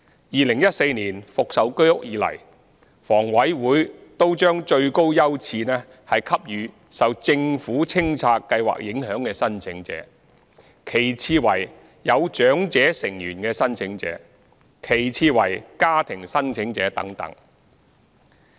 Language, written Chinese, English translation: Cantonese, 2014年復售居屋以來，房委會均將最高優次給予受政府清拆計劃影響的申請者，其次為有長者成員的申請者，其次為家庭申請者等。, Since the resumption of the sale of HOS in 2014 HA has been according the highest priority to applicants affected by the Governments clearance programmes followed by applicants with elderly members family applicants and so on